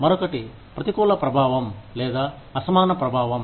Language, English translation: Telugu, The other is, adverse impact, or disparate impact